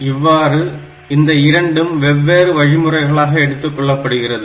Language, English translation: Tamil, So, that way these 2 are taken as different instructions